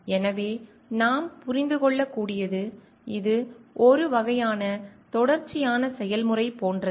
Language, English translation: Tamil, So, what we can understand like it is a sort of like ongoing process